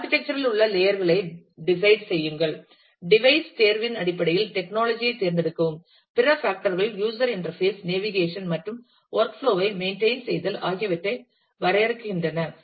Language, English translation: Tamil, Decide on the layers in the architecture, select the technology based on the device choice and the other factors define the user interface, navigation and maintain the work flow